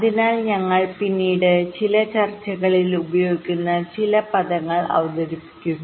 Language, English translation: Malayalam, so so we introduce some terminologies which we shall be using in some discussions later